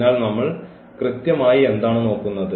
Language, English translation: Malayalam, So; that means, what we are looking exactly